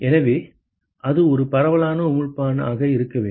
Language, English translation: Tamil, So, it has to be a diffuse emitter yes